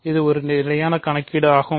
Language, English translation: Tamil, This is a standard calculation